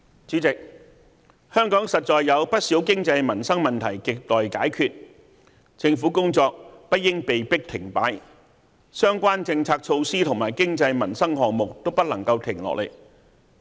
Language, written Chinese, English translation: Cantonese, 主席，香港實在有不少經濟民生問題亟待解決，政府工作不應被迫停擺，相關政策措施和經濟民生項目都不能停下來。, President as there are far too many economic and livelihood problems to be solved the work of the Government should not be forced to come to a standstill neither its policies and economic and livelihood projects